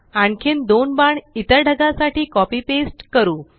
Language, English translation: Marathi, Now lets copy and paste two arrows to the other cloud